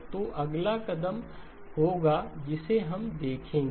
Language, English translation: Hindi, So those will be the next step that we will be looking at